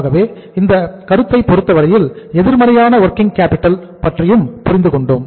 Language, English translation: Tamil, So and we have seen the concept of we have learnt and understood the concept of the negative working capital also